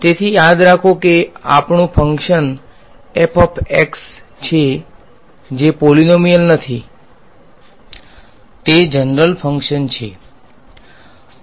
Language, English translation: Gujarati, So, remember our function is f of x which is not polynomial; it is some general function ok